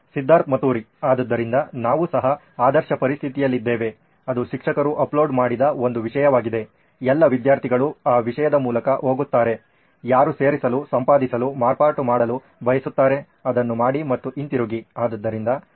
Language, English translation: Kannada, So we are also in ideal situation where it would be one content that teacher has uploaded, all the students would go through that content whoever who wants to add, edit, do the modification, do that and come back